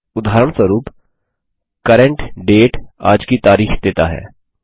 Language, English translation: Hindi, For example, CURRENT DATE returns todays date